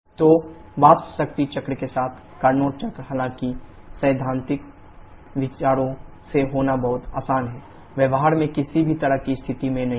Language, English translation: Hindi, So, the Carnot cycle with vapour power cycles though since it is very easy to have from theoretical considerations are in no no kind of situation in practice